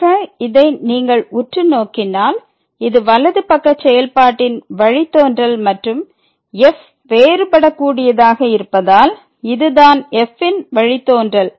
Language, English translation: Tamil, So, if you take a close look at this one this is the right hand derivative of the function and since is differentiable this will be equal to the derivative of the function